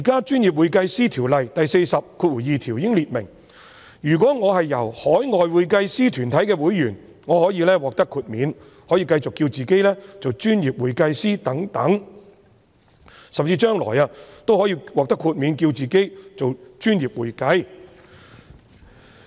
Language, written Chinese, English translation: Cantonese, 當然，《條例》第422條訂明，如果我是海外會計師團體會員，可獲得豁免，可繼續自稱為"專業會計師"等，甚至將來也可以獲得豁免，自稱為"專業會計"。, Certainly according to section 422 of the Ordinance if I am a member of any body of accountants outside Hong Kong I shall have exemption and can continue to call myself a professional accountant etc or even obtain exemption in the future and call myself professional accounting